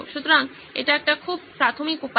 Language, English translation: Bengali, So that is a very rudimentary way